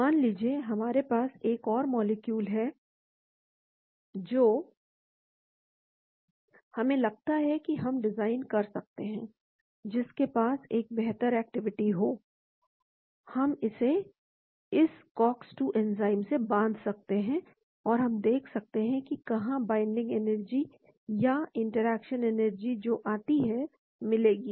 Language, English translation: Hindi, Suppose, we have another molecule which we think we can design one which may be better active, we can bind it to this cox 2 enzyme and we can see where the binding energy or interaction energy that comes